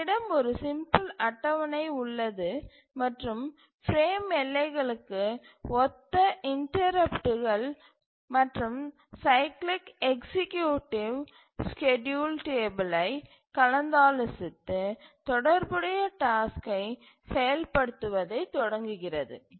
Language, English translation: Tamil, Here we have a simple table here and the interrupts corresponding to the frame boundaries and the cycli executive simply consults the schedule table and just starts execution of the corresponding task